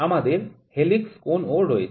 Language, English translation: Bengali, So, this is helix angle